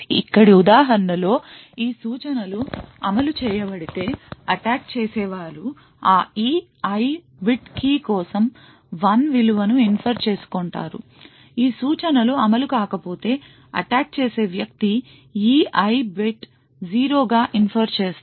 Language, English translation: Telugu, Example over here, if these instructions have executed then the attacker would infer a value of 1 for that E I bit of key, if these instructions have not been executed then the attacker will infer that the E I bit is 0